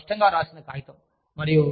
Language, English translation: Telugu, It is a very lucidly written paper